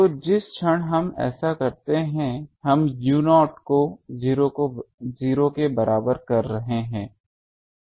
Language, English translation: Hindi, So, the moment we do this we are getting u 0 is equal to 0